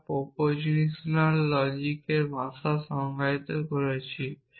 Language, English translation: Bengali, So, what is the language of propositional logic